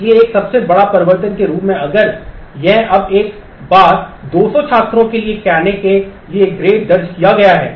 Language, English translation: Hindi, So, as a greatest change if it is now once grades have been entered say for 200 students